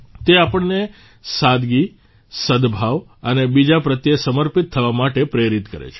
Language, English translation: Gujarati, They inspire us to be simple, harmonious and dedicated towards others